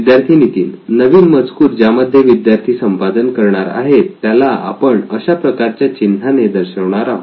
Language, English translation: Marathi, Students Nithin: So in the new content that users are going to add, that we have depicted with this icon